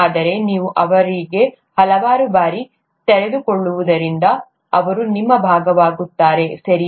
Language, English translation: Kannada, But since you are exposed to them so many times, they become a part of you, okay